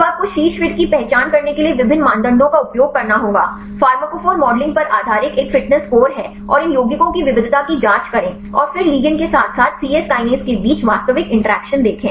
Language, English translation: Hindi, So, you have to use various criteria to identify the top fits; one is the fitness score based on the pharmacophore modeling and check the diversity of these compounds and then see the actual interaction between the ligand as well as the C Yes kinase